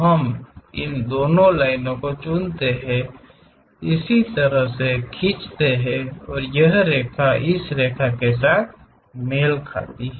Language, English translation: Hindi, We pick this these two lines, draw it in this way and this line coincides with this line